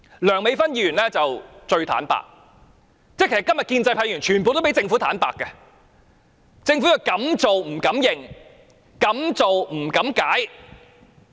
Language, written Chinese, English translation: Cantonese, 梁美芬議員最坦白，今天建制派議員全部都比政府坦白，政府敢做不敢承認，敢做不敢解釋。, Dr Priscilla LEUNG is most candid and today all pro - establishment Members are indeed more candid than the Government which has chickened out and dared not explain what it had done